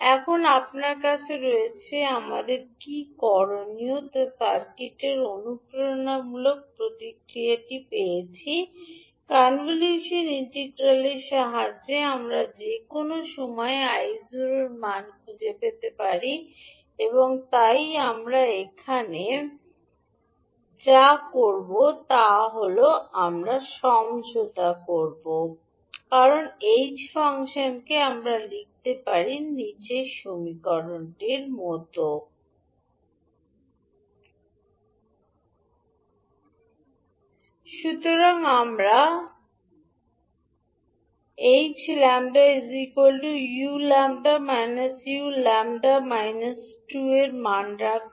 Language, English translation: Bengali, Now you have Is, you have got the impulse response of the circuit what we have to do, we have to find the value of I naught at any time t with the help of convolution integral so what we will do now we will take the convolution of Is and h functions so what we can write we can write zero to t Is and will take the dummy variable as lambda so Is lambda h t minus lambda d lambda